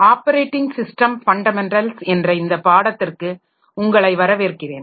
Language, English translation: Tamil, So, welcome to this course on operating system fundamentals